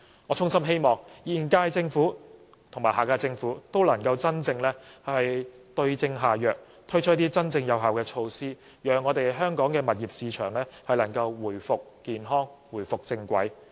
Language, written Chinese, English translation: Cantonese, 我衷心希望現屆政府和下屆政府都能夠真正對症下藥，推出真正有效的措施，讓香港物業市場回復健康、回復正軌。, I sincerely hope that the current Government and the next Government will be able to suit the remedy to the case and introduce really effective measures to bring our property market back to a healthy track